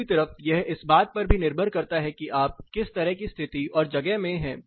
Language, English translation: Hindi, On the other side, it also depends on what kind of position and place you are stuck to